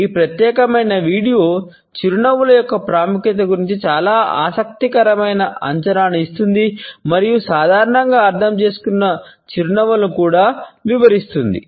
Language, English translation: Telugu, This particular video gives a very interesting assessment of the significance of a smiles and also covers normally understood types of a smiles